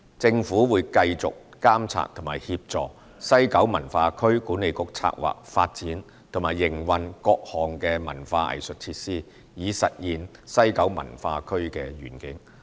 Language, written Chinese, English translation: Cantonese, 政府會繼續監察和協助西九文化區管理局策劃、發展和營運各項文化藝術設施，以實現西九文化區的願景。, The Government will continue to monitor and facilitate the planning development and operation of various arts and cultural facilities by WKCDA with a view to realizing the vision of WKCD